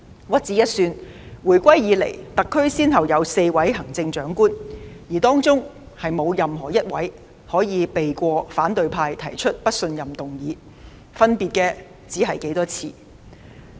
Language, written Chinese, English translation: Cantonese, 屈指一算，回歸以來，特區先後有4位行政長官，而當中沒有一位可以避過反對派提出的不信任議案，分別只在於多少次。, Let us do some counting . Since the reunification the SAR has been headed by four Chief Executives in succession and none of them have been immune from a motion of confidence proposed by the opposition camp with the only difference lying in the number of times